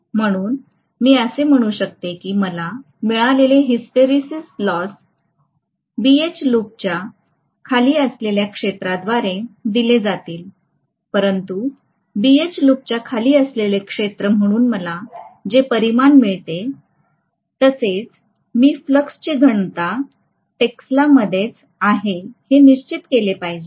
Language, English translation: Marathi, So I can say that the hysteresis loss what I get will be given by the area under BH loop but the quantity what I get as the area under the BH loop, I have to definitely make sure that the flux density is plotted in tesla and similarly whatever H, I am plotting, that will be ampere per meter